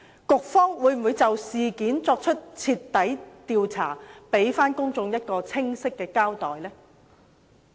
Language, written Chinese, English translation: Cantonese, 局方會否就事件作出徹底調查，給公眾一個清晰的交代？, Will the Bureau conduct a thorough investigation to give the public a clear account?